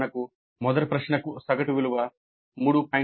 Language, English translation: Telugu, Like for example for the first question the average value was 3